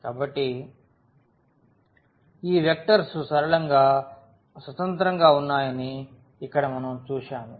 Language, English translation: Telugu, So, here we have seen that these vectors are linearly independent